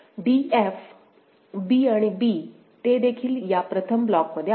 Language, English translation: Marathi, So, b a b all of them belong to this block